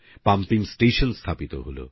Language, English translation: Bengali, A pumping station was set up